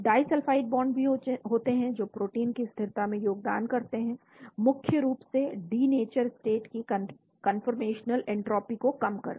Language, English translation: Hindi, Disulfide bonds also are there, contribute to protein stability mainly by reducing the conformational entropy of the denatured state